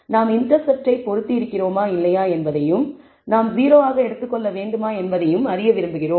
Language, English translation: Tamil, So, we want to know whether we should have fitted the intercept or not whether we should have taken it as 0